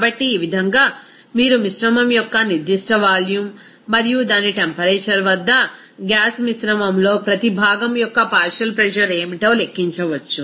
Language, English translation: Telugu, So, in this way, you can calculate what will be the partial pressure of each component in a gaseous mixture at that particular volume of the mixture and its temperature